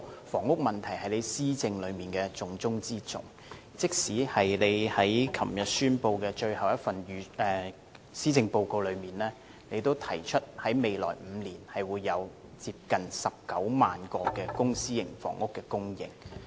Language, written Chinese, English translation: Cantonese, 房屋問題是特首施政的重中之中，他昨天發表的最後一份施政報告，也提出在未來5年會有接近19萬個公私營房屋供應。, Addressing the housing issue has been accorded top priority in the Chief Executives governance . When the Chief Executive presented his last Policy Address yesterday he mentioned that nearly 190 000 public and private residential units would be provided in the next five years